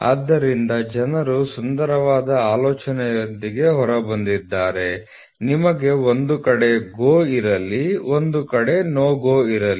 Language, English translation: Kannada, So, what people have come out with a beautiful idea is let us have one side GO one side no GO